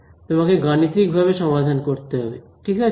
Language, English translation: Bengali, You have to solve it numerically right